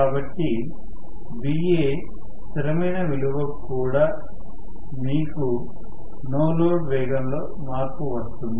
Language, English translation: Telugu, So, you are going to have even for a constant value of Va the no load speed is also changed